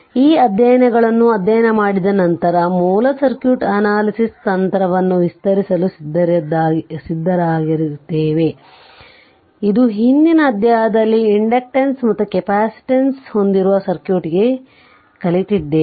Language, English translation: Kannada, After studying this chapters, we will be ready to extend the basic circuit analysis technique, you all learned in previous chapter to circuit having inductance and capacitance